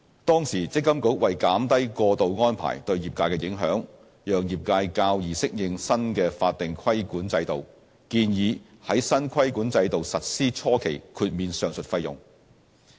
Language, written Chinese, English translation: Cantonese, 當時，積金局為減低過渡安排對業界的影響，讓業界較易適應新的法定規管制度，建議在新規管制度實施初期豁免上述費用。, MPFA then proposed to waive these fees in the initial years of implementing the new regulatory regime so as to minimize the impact of the transitional arrangements on the industry and to enable the industry to better adapt to the new regime